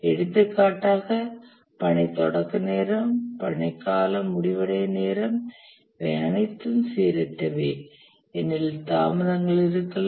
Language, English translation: Tamil, For example, the task start time, the task duration, end time, these are all random because there can be delays